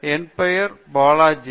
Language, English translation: Tamil, So, my name is Balaji